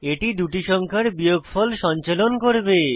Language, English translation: Bengali, This will perform subtraction of two numbers